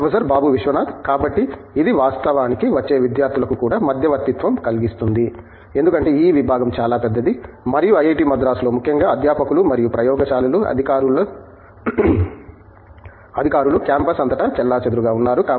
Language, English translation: Telugu, So, this actually can also be intermediating to the students who are coming in, because the department is very big and at IIT, Madras particularly the officers of faculty and labs are scattered all over the campus